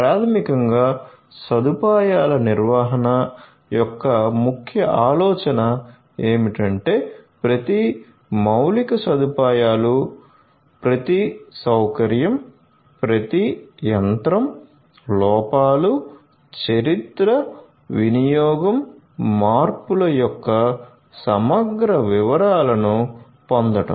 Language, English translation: Telugu, So, basically the key idea of facility management is to get an a comprehensive detail of each and every infrastructure every facility every machine, the faults, the history, usage, modification